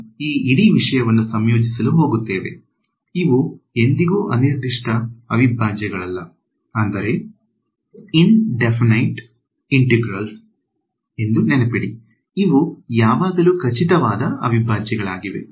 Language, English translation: Kannada, So, I am going to integrate this whole thing ok, remember these are never indefinite integrals; these are always definite integrals ok